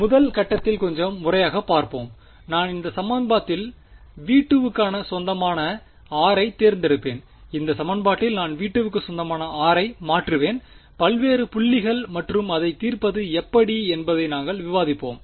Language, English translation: Tamil, So we will let us let us look at little bit systematically in the first step, I will choose r belonging to v 2 for in this equation I will substitute r belonging to v 2 various points and solve it which we will discuss how to solve